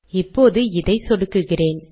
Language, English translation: Tamil, Now let me click this